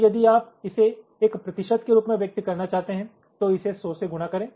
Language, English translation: Hindi, so if you want to express it as a percentage, multiply this by hundred